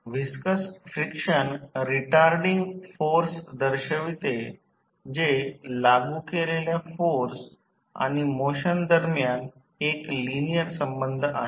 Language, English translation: Marathi, Viscous friction represents retarding force that is a linear relationship between the applied force and velocity